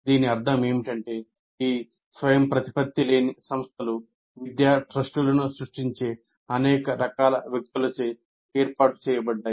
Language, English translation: Telugu, What it means is these non autonomous institutions are set by a large variety of people who create educational trusts